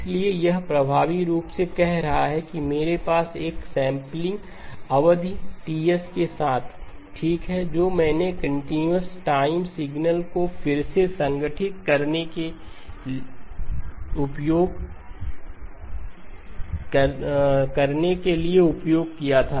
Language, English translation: Hindi, So this is effectively like saying I had a sampling period Ts okay which I used to reconstruct the continuous time signal